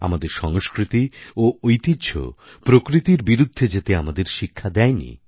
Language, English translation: Bengali, Our culture, our traditions have never taught us to be at loggerheads with nature